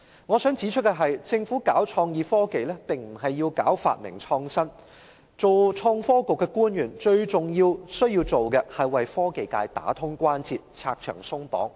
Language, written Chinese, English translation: Cantonese, 我想指出的是，政府搞創意科技並不是要搞發明創新，做創新及科技局的官員最重要的工作是為科技界打通關節，拆牆鬆綁。, I have to point out that the Governments promotion of innovation and technology is not about invention and creativity . As government officials responsible for innovation and technology their primary duty is to make a thoroughfare for the technology sector by removing obstacles and hurdles